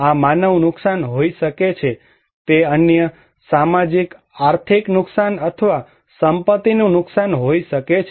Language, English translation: Gujarati, This could be human loss; it could be other socio economic loss or property damage right